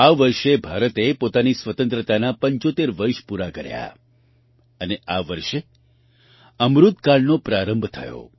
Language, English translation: Gujarati, This year India completed 75 years of her independence and this very year Amritkal commenced